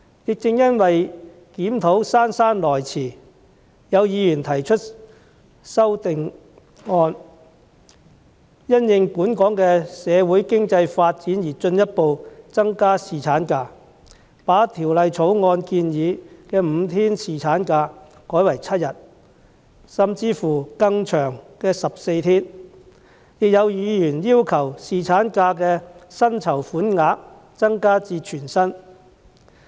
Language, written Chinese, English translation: Cantonese, 亦正因為檢討姍姍來遲，有議員提出修正案，要求因應本港的社會經濟發展進一步增加侍產假，把《條例草案》建議的5天侍產假改為7天，甚至是更長的14天，亦有議員要求將侍產假的薪酬款額增至全薪。, Also precisely because the review is long - overdue some Members have proposed amendments requesting to further increase the paternity leave in the light of Hong Kongs socio - economic development and amend it from five days as proposed by the Bill to seven days and even more to 14 days . Some Members also request to raise paternity leave pay to full pay